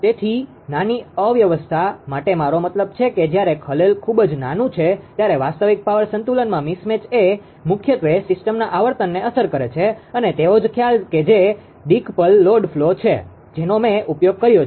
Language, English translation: Gujarati, So, for small perturbation when I mean ah disturbance is very small right a mismatch in the real power balance affects primarily the system primarily the system frequency same concept that decoupled load flow, I have use know